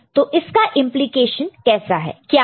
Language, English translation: Hindi, What is the implication of it